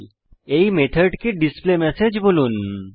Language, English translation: Bengali, Now let us call the method displayMessage